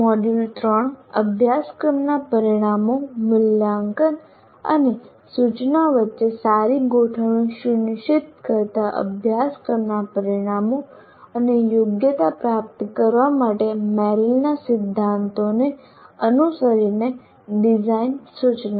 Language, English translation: Gujarati, Module 3, design instruction following Merrill's principles for attaining the course outcomes and competencies, ensuring good alignment between course outcomes, assessment and instruction